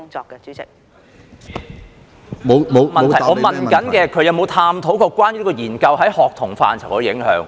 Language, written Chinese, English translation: Cantonese, 局長沒有答覆我的補充質詢，我問她有否探討有關研究在學童範疇的影響。, The Secretary did not answer my supplementary question . I asked her whether she had looked into the study findings in respect of the effects on students